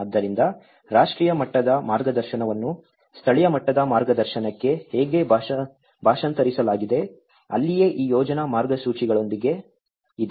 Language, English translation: Kannada, So, how the national level guidance has been translated into the local level guidance, is that is where with these planning guidelines